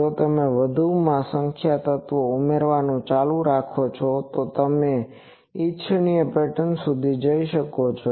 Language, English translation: Gujarati, If you go on adding more number of elements, you can go up to the desired pattern